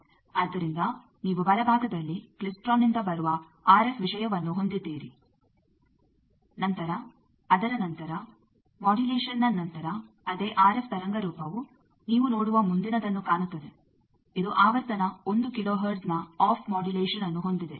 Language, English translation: Kannada, So, you have the RF thing coming from the klystron in the right, then after that after modulation that same RF waveform looks like the next one you see that, it is having some on off modulation of frequency 1 kilo hertz